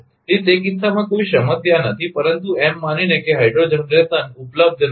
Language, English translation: Gujarati, So, in that case no problem, but assuming that hydro generation is not available